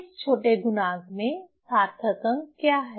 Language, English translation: Hindi, In the smaller factor, what is the significant figure